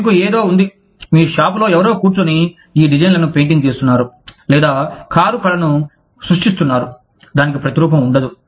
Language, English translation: Telugu, You have something, somebody sitting in your shop, who is painting these designs, or, who is creating car art, that cannot be replicated